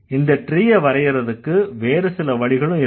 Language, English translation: Tamil, So, there is, there are other ways also to draw such trees